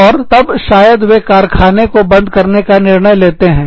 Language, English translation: Hindi, And, they may decide to go in, and shut the factory down